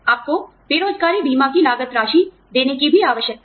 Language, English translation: Hindi, You also need to cover, the cost of unemployment insurance